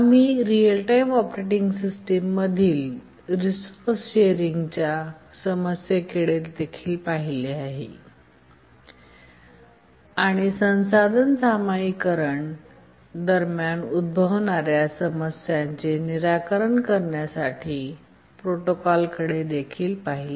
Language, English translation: Marathi, We had also looked at resource sharing problem in real time operating systems and we had looked at protocols to help solve the problems that arise during resource sharing